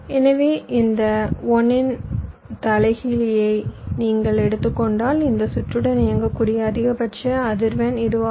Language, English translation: Tamil, so if you take the reciprocal of this, one by this, this will be the maximum frequency with this circuit can operate